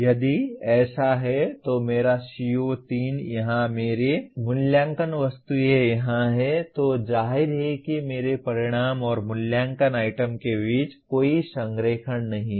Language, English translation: Hindi, If it is so, my CO3 is here, my assessment items are here then obviously there is no alignment between my outcome and the assessment items